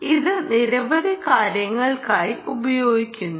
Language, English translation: Malayalam, it is used for several things